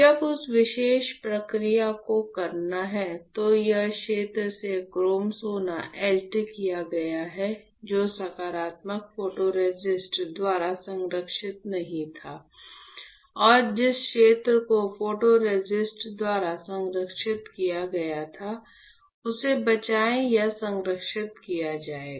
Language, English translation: Hindi, When you perform that particular process, then you have chrome gold etched from the area which was not protected by positive photoresist right, and the area which was protected by the photoresist will be saved or protected